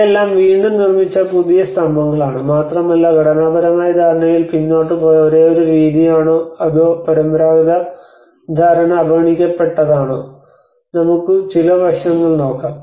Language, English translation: Malayalam, And these are all again the new constructed plinths and whether is it the only method we have going aback with the structural understanding or how the traditional understanding has been overlooked, these are some aspects we can look at